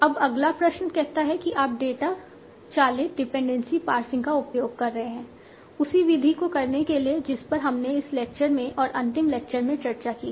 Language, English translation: Hindi, Now the next question says that you are using the data driven dependency passing, the same method that we have discussed in this lecture in the last lecture